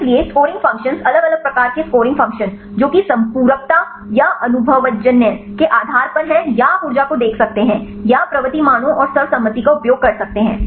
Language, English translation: Hindi, So, scoring functions right different types scoring function based on the complementarity or the empirical or you can see the energy or the using the propensity values and the consensus ones right